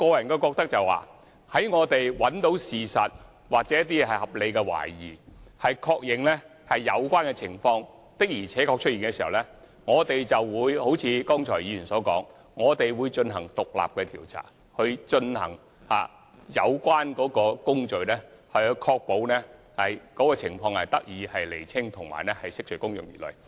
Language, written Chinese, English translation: Cantonese, 我個人認為，在我們找尋真相期間，若有一些合理懷疑，繼而確認有關情況確實存在時，我們便會如議員剛才所說般進行獨立調查，展開有關工序，確保情況得以釐清及釋除公眾疑慮。, I personally think that in the process of seeking the truth if we have some reasonable doubts and then confirm that the alleged conditions do exist we will conduct an independent investigation as suggested by Members and commence the process so as to ensure that the facts are clarified and the doubts of the public are removed